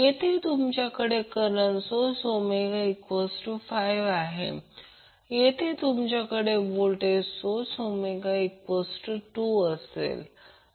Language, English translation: Marathi, Here you have current source Omega is 5, here you have voltage source where Omega is 2